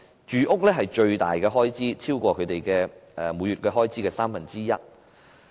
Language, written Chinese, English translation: Cantonese, 住屋是最大的開支，超過每月開支的三分之一。, Housing is the most prominent household spending category accounting for one third of the monthly spending